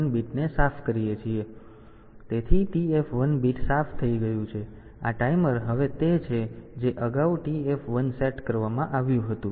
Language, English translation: Gujarati, So, TF 1 bit is cleared so, this timer is now that previously whatever this TF 1 was set